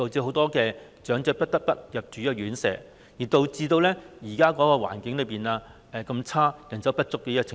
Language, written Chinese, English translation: Cantonese, 很多長者不得不入住院舍，因而令現時出現了環境惡劣、人手不足的問題。, Many elderly people have to stay in residential care homes which has contributed to the problems of extremely bad environment and shortage of manpower